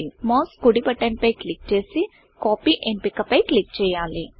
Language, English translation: Telugu, Now right click on the mouse and click on the Copy option